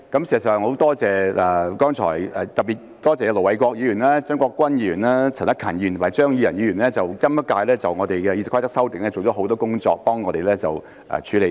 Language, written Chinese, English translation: Cantonese, 事實上，特別要多謝盧偉國議員、張國鈞議員、陳克勤議員及張宇人議員在今屆對《議事規則》的修訂做了很多工作，幫助我們處理。, In fact I have to thank Ir Dr LO Wai - kwok Mr CHEUNG Kwok - kwan Mr CHAN Hak - kan and Mr Tommy CHEUNG in particular for their considerable efforts in helping us to handle the amendments to the Rules of Procedure RoP during this term